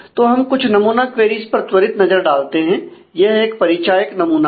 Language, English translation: Hindi, So, let us take a quick look into some of the sample queries this is just a indicative sample